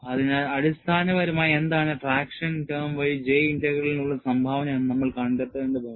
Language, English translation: Malayalam, So, essentially, we will have to find out, what is the contribution for the J Integral through the traction term